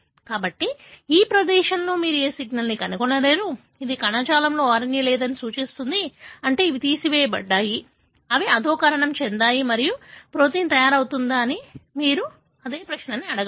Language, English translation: Telugu, So, you will not find any signal in this place, which indicates that RNA is not present in the tissue, meaning they are removed, they are degraded and you can ask the same question, whether the protein is being made